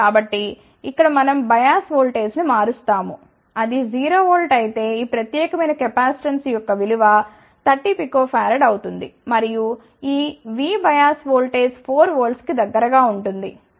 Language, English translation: Telugu, So, here we change the bias voltage, let say we had seen that if it is a 0 volt the capacitance for this particular thing will be 30 peak of error and if this V bias voltage is around 4 volt